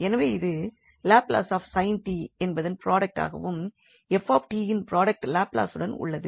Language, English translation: Tamil, So, this will be the product of the Laplace of sin t and the with the product Laplace of f t